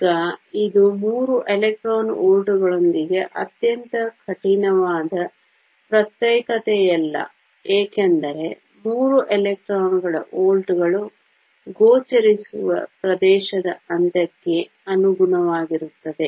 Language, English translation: Kannada, Now, this is not very rigorous separation with 3 electron volts comes out because three electrons volts correspond to the end of the visible region